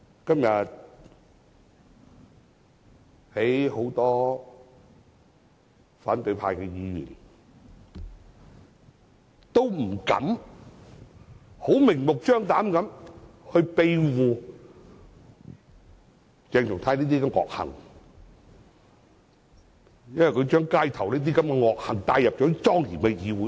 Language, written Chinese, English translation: Cantonese, 今天，很多反對派議員不敢明目張膽地庇護鄭松泰的惡行，因為他將街頭的惡行帶入莊嚴的議會內。, Today many Members of the opposition camp dare not harbour the malicious deeds of CHENG Chung - tai blatantly because he has brought the malicious deeds from the streets to this solemn Council